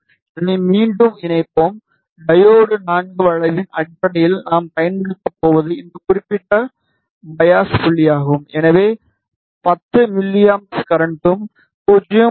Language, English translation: Tamil, We will connect this again and based on the diode IV curve what we are going to use is this particular biasing point, so current of 10 milliamperes and voltage of 0